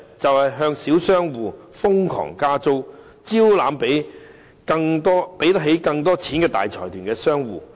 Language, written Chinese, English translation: Cantonese, 便是向小商戶瘋狂加租，招攬更多付得起錢的大財團商戶。, The answer is to frenetically increase the rental of small shop tenants and solicit more consortiums with the means to afford the rental